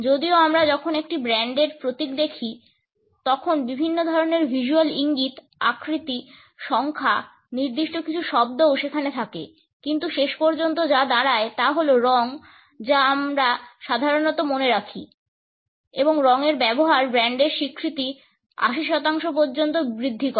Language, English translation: Bengali, Even though when we look at a brands logo there are different types of visual cues, shapes, numbers, certain words would also be there, but what stands out ultimately is the color which we normally remember and the use of color increases brand recognition by up to 80 percent